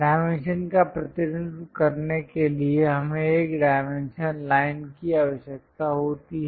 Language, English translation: Hindi, To represent dimension, we require a dimension line